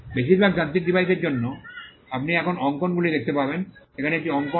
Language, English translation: Bengali, For most mechanical devices, you will find drawings now here is a drawing